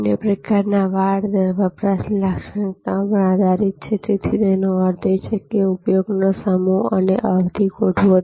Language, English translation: Gujarati, Another kind of rate fencing is based on consumption characteristics; that means, set time and duration of use